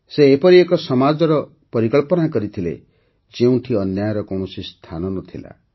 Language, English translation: Odia, He envisioned a society where there was no room for injustice